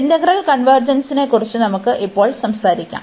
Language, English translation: Malayalam, We can now talk about the convergence of this integral